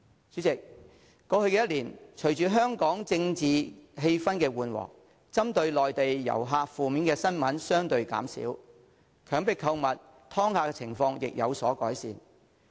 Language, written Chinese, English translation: Cantonese, 主席，過去一年，隨着香港的政治氣氛緩和，針對內地旅客的負面新聞相對減少，強迫購物和"劏客"的情況亦有所改善。, President over the past year political tension in Hong Kong has eased; there has been less negative news about incidents directed against Mainland visitors and the situation of coerced shopping and ripping visitors off has alleviated